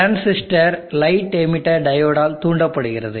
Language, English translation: Tamil, The transistor is trigged by the light emitted by the diode